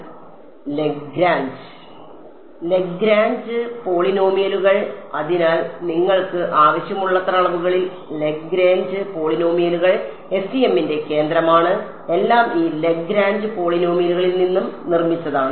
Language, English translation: Malayalam, Lagrange polynomials; so, Lagrange polynomials are central to FEM in as many dimensions as you want; everything is sort of built out of these Lagrange polynomials